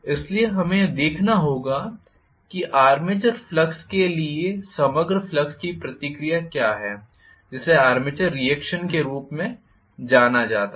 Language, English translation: Hindi, So, we will have to look at what is the reaction of the overall flux to the armature flux that is known as armature reaction